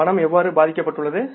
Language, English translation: Tamil, How the cash has been affected